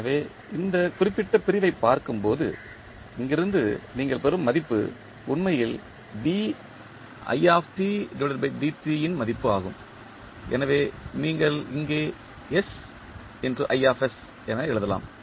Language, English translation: Tamil, So, when you see this particular segment the value which you get from here is actually the value of i dot, so you can simply write S into i s here